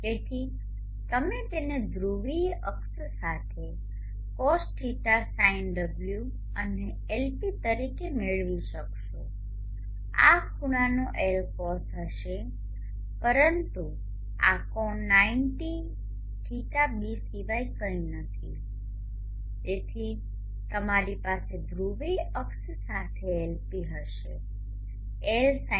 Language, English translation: Gujarati, and Lp along the polar axis would be Lcos of this angle this angle is nothing but 90 d so you will have Lp along the polar axis has Lsind